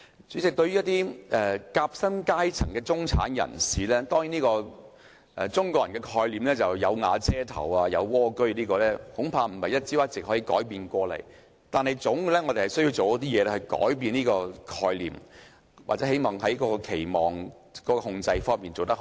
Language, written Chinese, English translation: Cantonese, 主席，對於一些夾心階層的中產人士，中國人的概念是"有瓦遮頭"、"有蝸居"，這恐怕不是一朝一夕可以改變的概念，但我們總要做一些事情來改變這種概念，或要在期望控制方面做得更好。, President to some middle class categorized as the sandwich class they still hold on to the traditional Chinese concept of having a roof over their head or having a humble abode . Such a concept cannot be changed overnight . But we must still do something to change this concept or do better in managing such an expectation